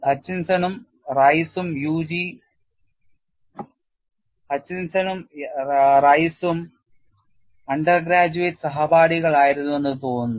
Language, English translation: Malayalam, You know it appears Hutchinson and Rice were UG classmates